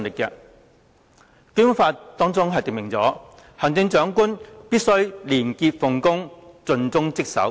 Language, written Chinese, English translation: Cantonese, 《基本法》訂明，行政長官必須"廉潔奉公、盡忠職守"。, The Basic Law stipulates that the Chief Executive must be a person of integrity dedicated to his or her duties